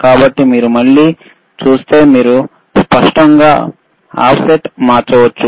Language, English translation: Telugu, So, if you see again, the offset, you can you can clearly change the offset